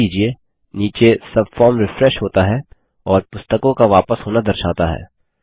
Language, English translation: Hindi, Notice that the subform below refreshes and shows books to be returned